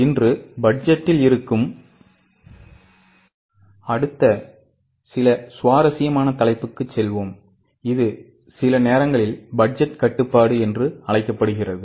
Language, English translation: Tamil, Today we will go to next very interesting topic that is on budgeting, sometimes called as budgetary control